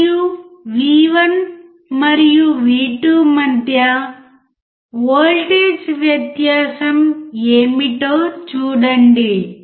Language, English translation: Telugu, And see what is the voltage difference between V1 and V2